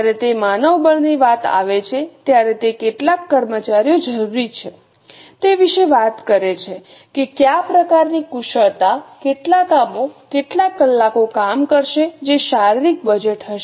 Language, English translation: Gujarati, When it comes to manpower, it talks about how many employees are required with what types of skills, how many hours of work will be done, that will be a physical budget